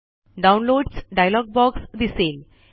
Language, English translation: Marathi, The Downloads dialog box appears